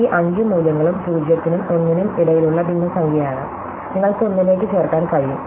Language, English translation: Malayalam, So, this all these five values are fraction between 0 and 1, they all add to 1